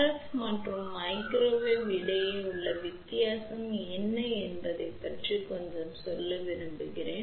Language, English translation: Tamil, I just want to tell little bit about what is the difference between RF and Microwave